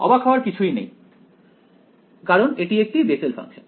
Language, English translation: Bengali, Not surprising because its a Bessel’s function